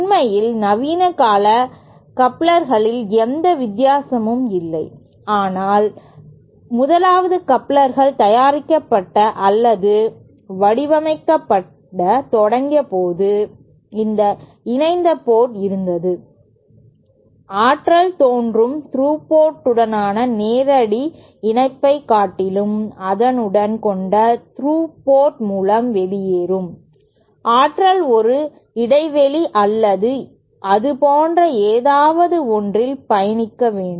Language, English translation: Tamil, There is actually no difference in modern day couplers but when couplers 1st began to be manufactured or designed, it was that there was this this coupled port, the energy appearing at the coupled port was kind of coupled to it rather than direct connection as that existed in through port, the energy would have to travel over a gap or something like that